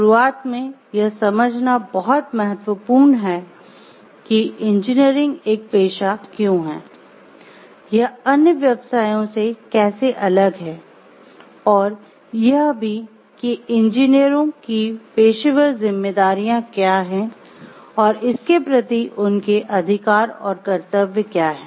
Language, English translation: Hindi, At the start it is very important to understand why engineering is a profession, how it is different from other professions, and also what are the professional responsibilities of the engineers and their rights and duties towards it also